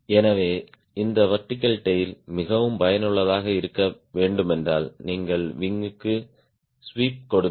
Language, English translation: Tamil, so if you really want this vertical tail be more effective, you sweep the wing